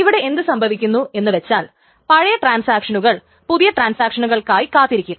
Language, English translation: Malayalam, What happens is that here the older transactions wait for newer transactions